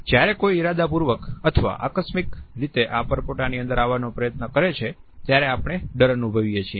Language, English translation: Gujarati, We feel threatened when somebody intentionally or accidentally encroaches upon this bubble